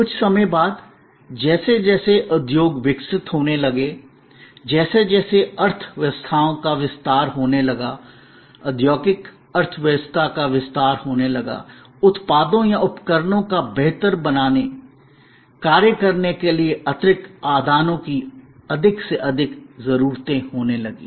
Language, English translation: Hindi, A little later as industries started evolving, as the economies started expanding, the industrial economy started expanding, there were more and more needs of additional inputs to make products or devices function better, function properly